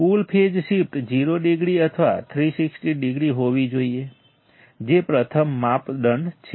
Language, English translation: Gujarati, Total phase shift should be 0 degree or 360 degree that is the first criteria